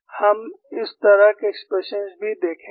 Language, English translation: Hindi, We would see that kind of expressions also